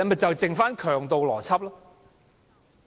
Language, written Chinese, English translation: Cantonese, 就只剩下強盜邏輯。, All we have is only the gangster logic